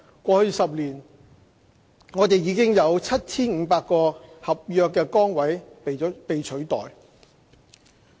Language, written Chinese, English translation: Cantonese, 過去10年，已有 7,500 個合約崗位被取代。, Over the past 10 years about 7 500 NCSC positions have been replaced by civil servants